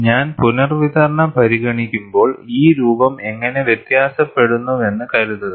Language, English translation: Malayalam, Suppose, I consider, even the redistribution, how does this shape varies